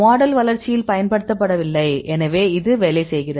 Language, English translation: Tamil, This is not used in the development of the model; so this works